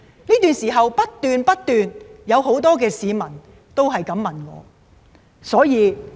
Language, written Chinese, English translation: Cantonese, 這段時間不斷有很多市民向我問以上的問題。, Over a period of time in the past many people have kept asking me similar questions